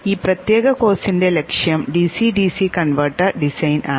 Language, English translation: Malayalam, The objective of this particular course is the DCDC converter design